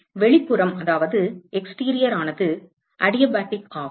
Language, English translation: Tamil, The exterior is adiabatic